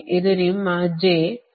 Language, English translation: Kannada, this is your y